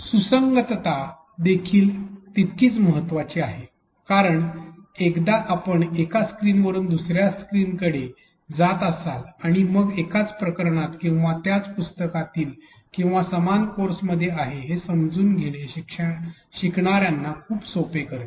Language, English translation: Marathi, Consistency is equally important because once you are going from one screen to other and on and so forth, it makes it very easy for the learners to realize that they are in the same chapter or same book or even same course for that matter